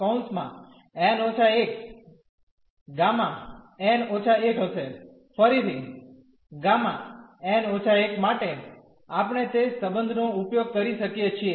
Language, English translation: Gujarati, Again for gamma n minus 1 we can use that relation